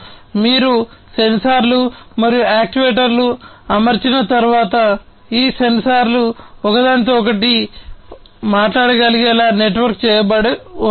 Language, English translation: Telugu, So, once you have deployed the sensors and actuators you can have these sensors being networked to be able to talk to each other